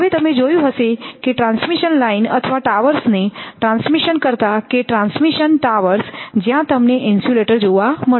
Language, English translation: Gujarati, Now you have seen that transmission line or transmission the towers and transmission towers where we will find that insulators are there